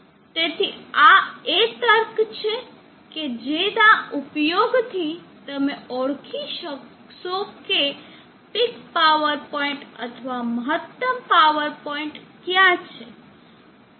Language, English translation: Gujarati, So this is the logic that you could use to identify where the peak power point or the maximum power point lies